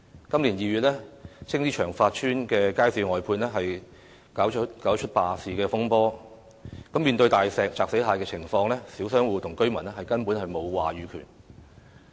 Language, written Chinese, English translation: Cantonese, 今年2月，青衣長發邨街市外判便搞出罷市風波，面對"大石砸死蟹"的情況，小商戶與居民根本沒有話語權。, In February this year the outsourcing of Cheung Fat Estate Market in Tsing Yi caused an uproar as the stall operators launched a strike . Faced with such high - handed repression the small shop tenants and residents do not have any say at all